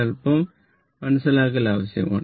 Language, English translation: Malayalam, Little bit understanding is required right